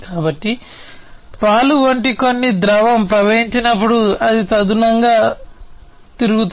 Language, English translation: Telugu, So, when some fluid such as milk will flow then it is going to rotate accordingly